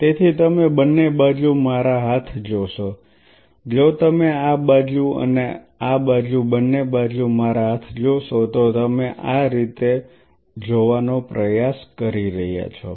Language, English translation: Gujarati, So, you see my arms on both sides you are try to look at like this if you look at my arms on both sides this side and this side